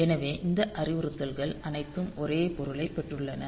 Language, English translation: Tamil, So, all these instructions they have got the same meaning